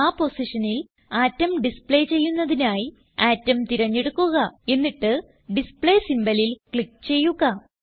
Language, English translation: Malayalam, Select Atom and then click on Display symbol, to display atoms at that position